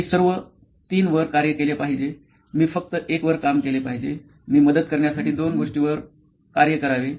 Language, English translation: Marathi, Should I work on all 3, should I work on only 1, should I work on 2 some things that to help o